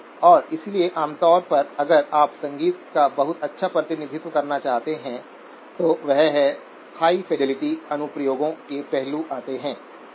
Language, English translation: Hindi, And so typically if you want to have very good representation of music, that is where the aspects of high fidelity applications come in, okay